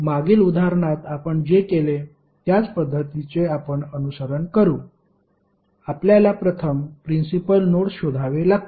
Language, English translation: Marathi, You will follow the same procedure what we did in the previous example, you have to first find out the principal nodes